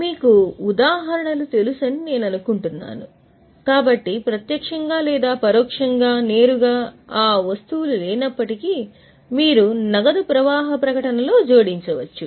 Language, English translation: Telugu, So, though there is no direct or indirect, directly those items you can add in the cash flow statement